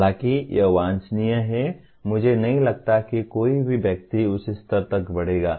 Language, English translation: Hindi, While it is desirable, I do not think any of the persons will grow to that stage